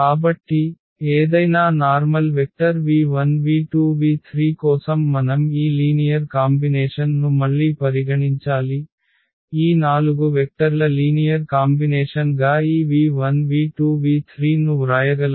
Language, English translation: Telugu, So, for any general vector v 1 v 2 v 3 what we have to again consider this linear combination that whether we can write down this v 1 v 2 v 3 as a linear combination of these four vectors